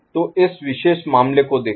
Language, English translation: Hindi, So, look at a particular case